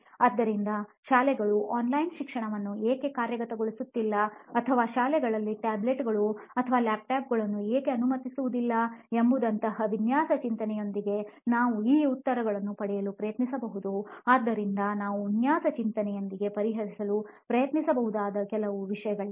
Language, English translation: Kannada, So we are like we can try to get those answers with design thinking like why schools are not implementing online education or why they are not allowing tablets or laptops in the schools, so there are few things which we can try to solve with design thinking